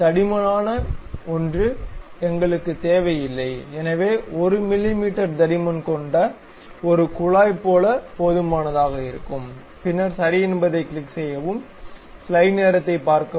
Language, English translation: Tamil, We do not really require that thickness may be 1 mm thickness is good enough like a tube, then click ok